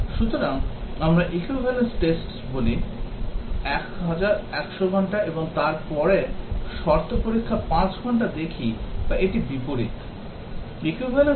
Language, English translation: Bengali, So, do we look at the equivalence tests, 100 hours, and then the condition test 5 hours or is it vice versa